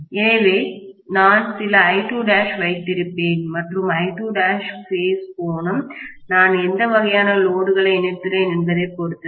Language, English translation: Tamil, So, I will have some I2 dash and I2 dash phase angle depends upon what kind of load I have connected